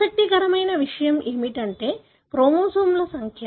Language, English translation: Telugu, What is also interesting is the number of chromosomes